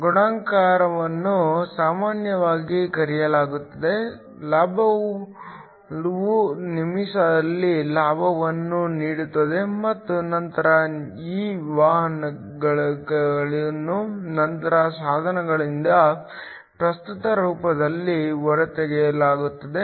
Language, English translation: Kannada, Multiplication is usually called the gain will see gain in the minute and then finally these carriers are then extracted out of the device in the form of a current